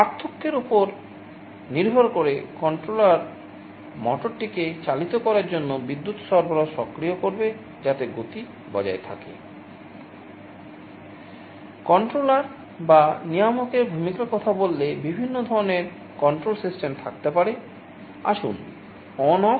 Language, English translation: Bengali, Depending on the difference the controller will be activating the power supply of the motor to turn it on and off, so that speed is maintained